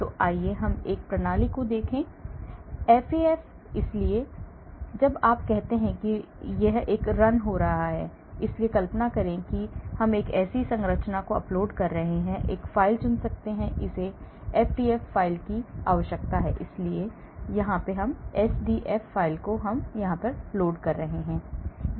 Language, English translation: Hindi, so let us look at a system; FAF; so, when you say run, it gives you like this, so imagine I am uploading a structure, I can upload, choose a file, it needs a SDF file, so I am loading SDF file